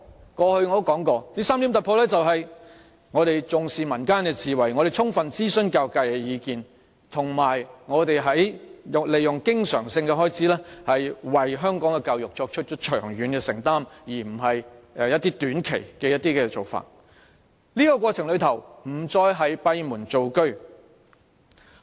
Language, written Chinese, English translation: Cantonese, 我過往也說過這3點突破是重視民間智慧、充分諮詢教育界的意見，以及透過經常性開支為香港教育作出長遠承擔，而非短期做法，在過程中亦不再閉門造車。, As I have said before these three breakthroughs refer to the Government attaching importance to wisdom in the community fully consulting the views of the education sector and providing recurrent funding as a long - term commitment for education in Hong Kong rather than just a short - term measure while ceasing to work behind closed doors in the process